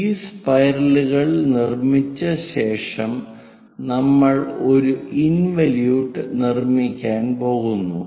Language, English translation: Malayalam, After these spiral is constructed, we will move on to construct an involute